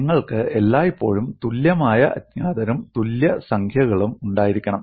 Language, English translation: Malayalam, You should always have equal number of unknowns and equal number of equations